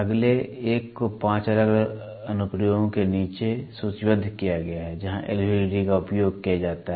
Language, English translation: Hindi, The next one is lists down 5 different applications, 5 different applications where L